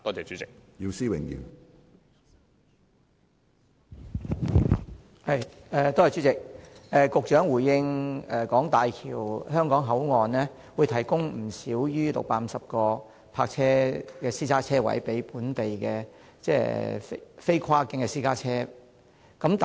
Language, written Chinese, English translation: Cantonese, 主席，大橋香港口岸會提供不少於650個私家車泊車位，供本地非跨境私家車停泊。, President the HZMB Hong Kong Port will provide no less than 650 parking spaces for non - cross - boundary local private cars